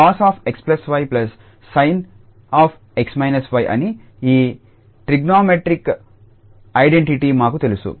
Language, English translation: Telugu, We know this trigonometric identity that 2 sin x cos y is sin x plus y and sin x minus y